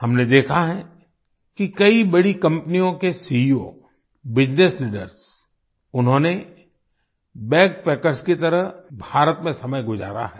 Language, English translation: Hindi, We have seen that CEOs, Business leaders of many big companies have spent time in India as BackPackers